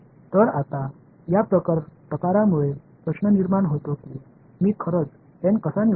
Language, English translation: Marathi, So, now this sort of brings a question how do I actually choose n